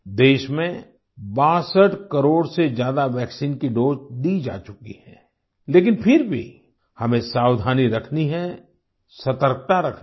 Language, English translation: Hindi, More than 62 crore vaccine doses have been administered in the country, but still we have to be careful, be vigilant